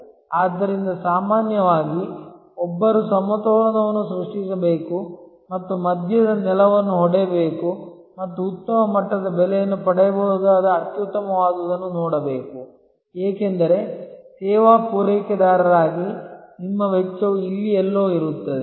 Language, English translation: Kannada, So, usually therefore, one has to create a balance and strike a middle ground and see the best that can be obtained the best level of price, because your cost as a service provider will be somewhere here